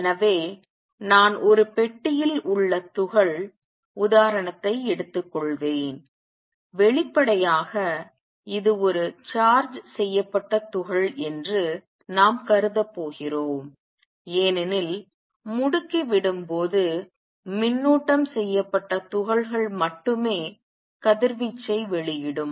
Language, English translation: Tamil, So, I will take the example of particle in a box and; obviously, we are going to assume it is a charged particle because only charged particles radiate when accelerating